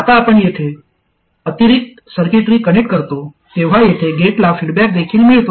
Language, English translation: Marathi, Now, when you connect this additional circuitry here, there is also feedback to the gate